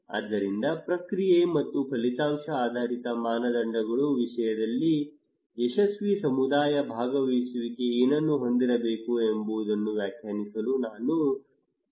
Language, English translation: Kannada, So we asked the community to define what a successful community participation should have in terms of process and outcome based criteria